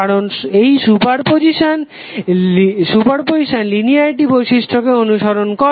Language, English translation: Bengali, Because this super position is following the linearity property